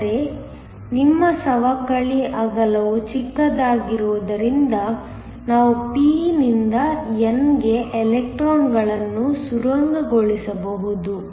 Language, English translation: Kannada, But, because your depletion width is small we can have electrons tunneling from the p to the n